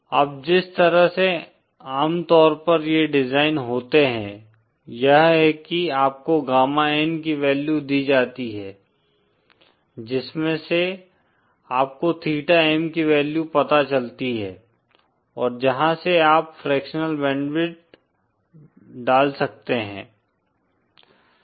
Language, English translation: Hindi, Now the way usually these designs happen is that you are given a value of gamma N from which you find out the value of theta M and from which you can find put the fractional band width